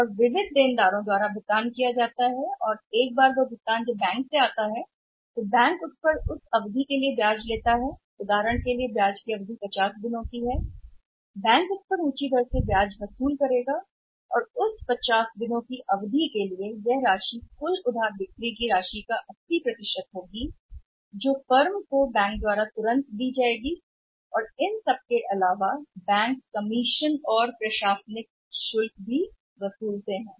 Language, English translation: Hindi, And payment is made by the sundry debtors or the debtor and ones that payment comes the bank will charge interest for a period of say in the example we are discussing for a period of 50 days if the funds are given by the bank, the bank will charge interest at a higher rate for that period of 50 days and for the amount which is it amount which is used that is 80% which is given to the firm immediately and apart from that bank charges on commission and administrative charges also